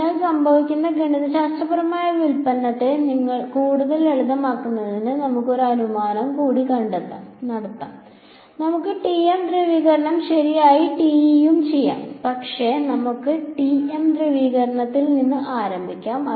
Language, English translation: Malayalam, So, to further you know simplify the mathematical derivation that happens let us make one more assumption, let us say that let us deal with the TM polarization ok, TE can also be done, but let us start with TM polarization